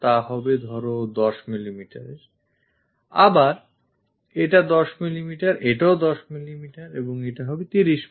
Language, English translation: Bengali, This supposed to be 10 mm, again this is 10 mm, this is 10 mm and this one will be 30 mm